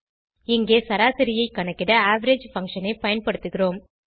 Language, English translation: Tamil, Here we use the average function to calculate the average